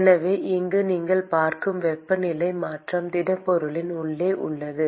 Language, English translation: Tamil, So the temperature change that you are seeing here is inside the solid